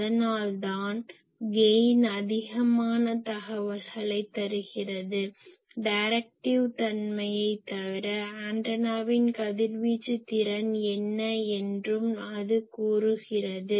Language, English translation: Tamil, So, that is why the gain gives you much more ah information , apart from the directive nature it also says that what is the radiation efficiency of the antenna